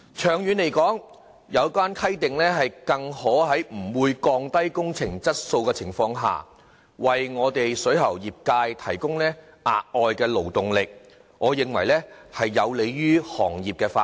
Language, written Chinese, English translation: Cantonese, 長遠而言，有關規定更可在不會降低工程質素的情況下，為水喉業界提供額外勞動力，故此我認為有利於行業發展。, The amendments indeed help to provide the plumbing trade with additional manpower without adversely affecting the quality of plumbing works and are thus conducive to the development of the trade in the long run